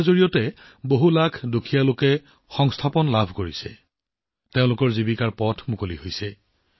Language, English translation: Assamese, Due to this lakhs of poor are getting employment; their livelihood is being taken care of